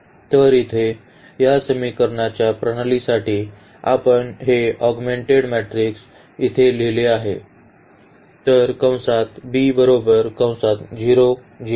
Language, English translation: Marathi, So, here for this system of equations we have written here this augmented matrix